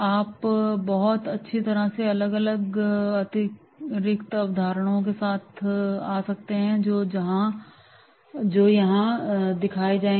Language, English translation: Hindi, You very well may come up with different and are additional concepts than those shown here, right